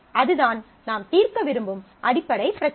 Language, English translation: Tamil, So, that is the basic problem that we would like to address